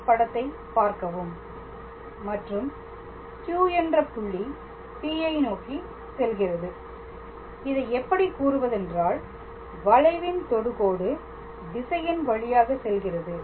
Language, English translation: Tamil, So, we refer to the same figure and when Q tends to P, then this will actually be how to say along the direction of a tangent to this curve all right